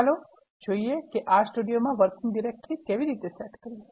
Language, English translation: Gujarati, Let us see, how to set the working directory in R Studio